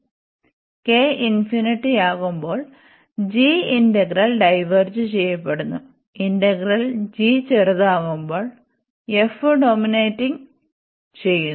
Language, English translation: Malayalam, And we have also the result if this k is come infinity, and this diverges the g integral which is the smaller one now this f dominates